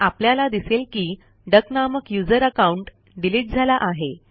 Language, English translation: Marathi, We will find that, the user account duck has been deleted